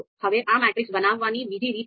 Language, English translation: Gujarati, Now there is another way to create this matrix